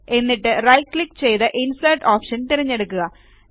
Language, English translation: Malayalam, Then right click and choose the Insert option